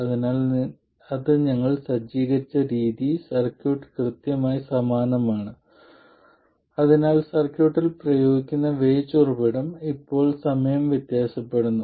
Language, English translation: Malayalam, So, the way I have set it up, the circuit is exactly the same, so the voltage source that is applied to the circuit is now time varying